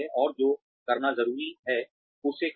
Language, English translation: Hindi, And do, what is required to be done